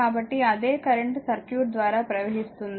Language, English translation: Telugu, So, same current will flow through the circuit